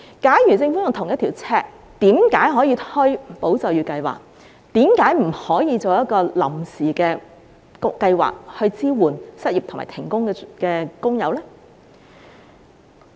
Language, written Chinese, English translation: Cantonese, 假如政府秉承同一標準，為何可以推出"保就業"計劃，卻不可以推出一項臨時計劃，支援失業和停工的工友呢？, If the Government adheres to the same standard why can it introduce the Employment Support Scheme but not a temporary scheme to support those who are unemployed or suspended from work?